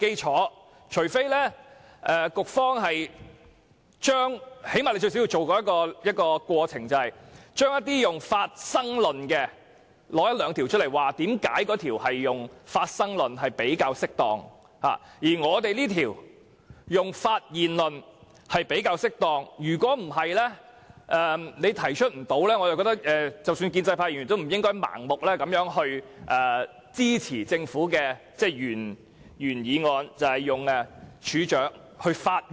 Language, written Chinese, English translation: Cantonese, 除非局方提出一兩項採用"發生"論的條例，說明這些條例採用"發生"論比較適當，而《條例草案》採用"發現"論較為適當，否則即使是建制派議員也不應盲目支持政府提出的《條例草案》，以處長發現或知悉罪行的時間作為時限。, Unless the authorities can put forward one or two ordinances in which the commission proposal is adopted and explain that the commission proposal is more suitable for such ordinances while the discovery proposal is more suitable for the Bill otherwise pro - establishment Members should not blindly support the Bill proposed by the Government under which the time limit is based on the time when the offence is discovered by or comes to the notice of the Registrar